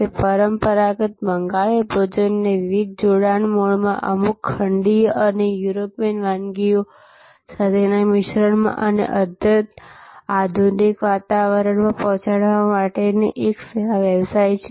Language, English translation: Gujarati, It is a service business for delivering traditional Bengali cuisine in different fusion mode, in a fusion with certain continental and European dishes and in very modern ambiance